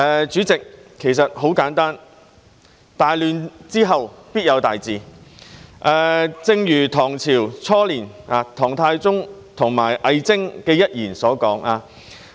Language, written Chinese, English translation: Cantonese, 主席，很簡單，大亂之後必有大治，正如唐朝初年唐太宗和魏徵的一段對話所說。, President simply put great turmoil must be followed by great governance as mentioned in a conversation between Emperor Taizong and WEI Zheng in the early Tang Dynasty